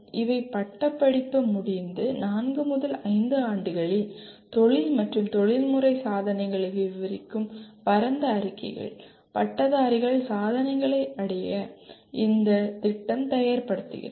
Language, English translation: Tamil, These are broad statements that describe the career and professional accomplishments in four to five years after graduation that the program is preparing the graduates to achieve